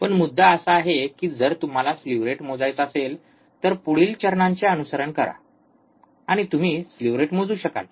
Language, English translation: Marathi, But the point is, you if you want to measure slew rate follow the steps and you will be able to measure the slew rate